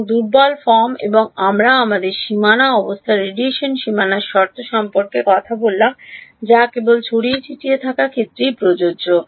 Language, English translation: Bengali, And weak form and we spoke about our boundary condition radiation boundary condition which is the applicable only to scattered field